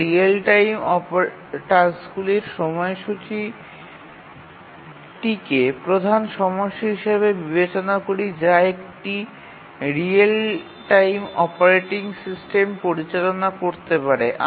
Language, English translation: Bengali, We considered real time task scheduling as the central problem that a real time operating system needs to handle